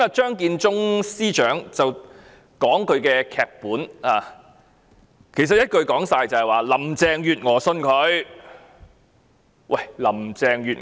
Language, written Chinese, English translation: Cantonese, 張建宗司長剛才讀出他的劇本，一言以蔽之，就是林鄭月娥相信鄭若驊。, Chief Secretary Matthew CHEUNG just read out his script . In a nutshell Carrie LAM believes in Teresa CHENG